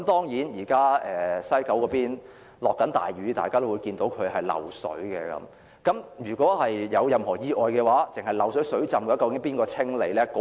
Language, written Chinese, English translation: Cantonese, 現時西九龍正下大雨，大家都看到車站漏水，如果有任何意外，單是漏水、水浸，究竟由誰清理？, Now it is raining heavily in West Kowloon . We have seen the water leakage in the station . If there is any accident speaking of water leakage and flooding alone who will clear it up?